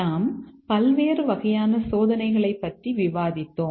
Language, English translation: Tamil, We had discussed various types of testing